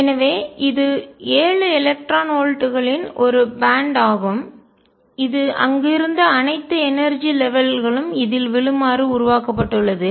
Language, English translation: Tamil, So, this is a band of seven electron volts which is formed all the energy levels that were there are going to fall in this